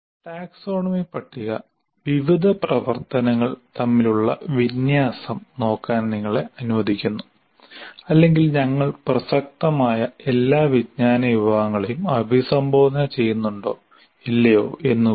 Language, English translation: Malayalam, So the taxonomy table really presents you as a kind of a, it's an artifact that allows you to look at the alignment between various activities or whether we are addressing all the relevant knowledge categories or not